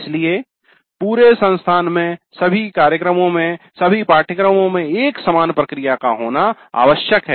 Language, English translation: Hindi, So it is necessary to have one common process across the institute, across the programs, across all the courses